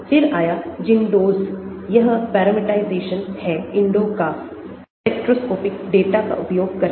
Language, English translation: Hindi, then, came ZINDOS, this is a parameterization of INDO using spectroscopic data